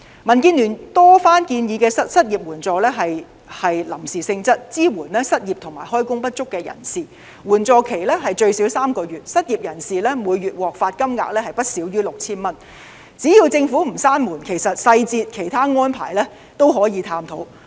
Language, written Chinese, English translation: Cantonese, 民建聯多番建議的失業援助是臨時性質，以支援失業和開工不足的人士，援助期最少3個月，失業人士每月可獲發金額不少於 6,000 元，只要政府不關上這道門，細節及其他安排也可以探討。, What DAB has repeatedly proposed is unemployment assistance of a temporary nature to assist the unemployed and underemployed people for a minimum period of three months . During this period unemployed workers can receive no less than 6,000 . If the Government is willing to open that door the details and other arrangements can be discussed